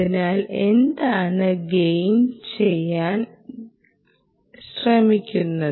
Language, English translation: Malayalam, so what is the gain trying to do